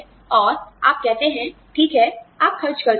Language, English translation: Hindi, And, you say, okay, you can spend